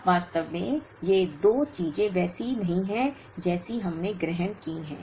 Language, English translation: Hindi, Now, in reality these 2 things are not the way we have assumed